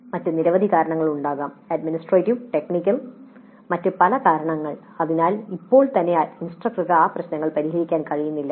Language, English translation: Malayalam, There could be several other reasons administrative, technical, many other reasons because of which right now the instructor is unable to address those issues